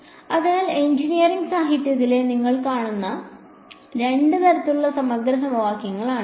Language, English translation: Malayalam, So, these are the two kinds of integral equations that you will come across in the engineering literature right